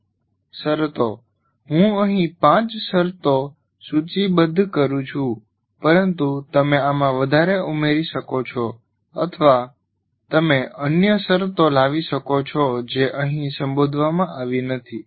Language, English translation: Gujarati, As I said, I am listing five here, but there can be, you can add more or you can bring other conditions that are not addressed as a part of any of this